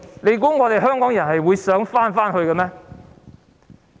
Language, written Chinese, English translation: Cantonese, 你以為香港人想回去這個秩序嗎？, Do you think that Hong Kong people want to go back to this order?